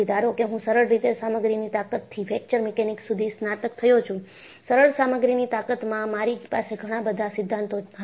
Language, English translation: Gujarati, Suppose, I graduate from simple strength of materials to Fracture Mechanics, in simple strength of material itself, I had many theories